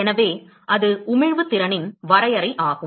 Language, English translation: Tamil, So, that is the definition of Emission power